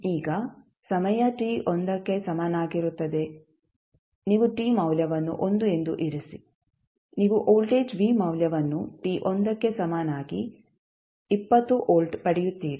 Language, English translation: Kannada, Now, time t is equal to 1 you put the value of t as 1 you will get the value of voltage v at t equal to 1 is 20 volts